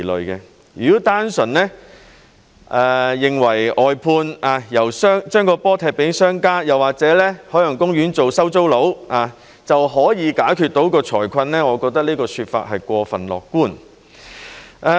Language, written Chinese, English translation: Cantonese, 如果認為單純外判，把波踢給商家，又或者海洋公園做"收租佬"就能解決財困，我覺得這個說法是過分樂觀。, In my opinion it is too optimistic to think that the financial difficulties can be resolved simply by means of outsourcing and passing the ball to the merchants or turning OP into a rent collector